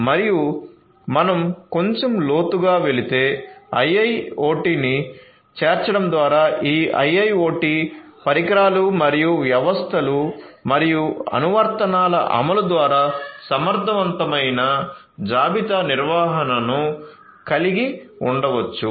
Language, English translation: Telugu, And if we go little deeper down, so with the incorporation of IIoT we can have efficient inventory management through the implementation of all these IIoT devices and systems and applications